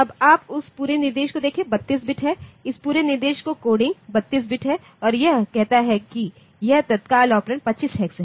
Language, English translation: Hindi, Now, you see that whole instruction is 32 bit the coding of this whole instruction is 32 bit and it says that this immediate operand is 25 hex